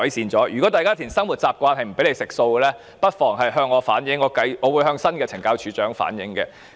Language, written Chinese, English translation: Cantonese, 因此，如果大家填寫因生活習慣而要吃素但卻遭署方拒絕，不妨向我反映，我會再向新的懲教署署長反映。, So if you write that you are on a vegetarian diet because it is your lifestyle habit but are rejected by CSD you may let me know and I will convey it to the new Commissioner of Correctional Services